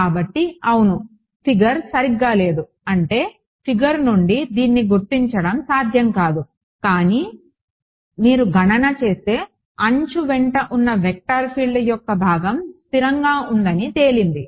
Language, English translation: Telugu, So, yeah the figure is slightly not very I mean which not possible to determine this from the figure, but if you do the calculation it turns out that the component of a vector field along the edge is constant